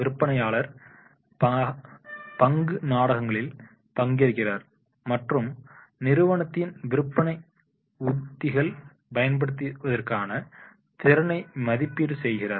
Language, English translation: Tamil, Sales persons participate in a role place and are evaluated on their ability to follow the company's selling strategies